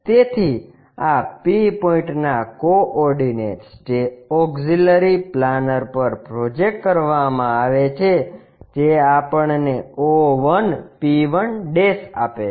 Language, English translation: Gujarati, So, the coordinates of this P point which is projected onto auxiliary planar giving us o1 p1'